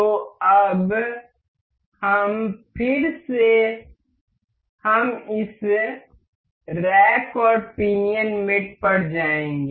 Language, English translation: Hindi, So, now, again we will go to this rack and pinion mate